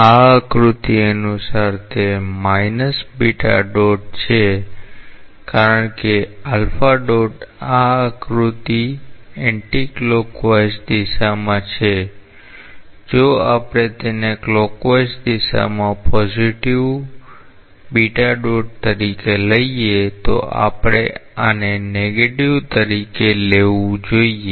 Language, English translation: Gujarati, According to this figure, it is minus beta dot because alpha dot in this figure is in the anti clockwise direction, if we take that as positive beta dot is in the clockwise direction we should take it as negative